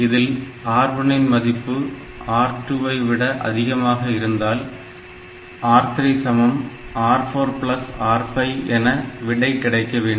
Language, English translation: Tamil, Like this in some high level language so, if R1 is better than R2 then R3 gets R4 plus R5 else R3 gets R4 minus R5